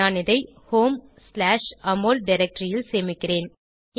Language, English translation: Tamil, In my case, it will get saved in home/amol directory